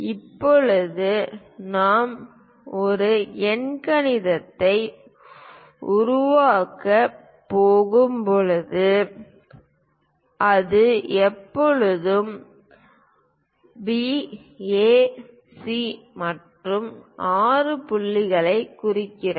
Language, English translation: Tamil, Now, when we are going to construct an octagon it is always B circumscribing A, C and 6 point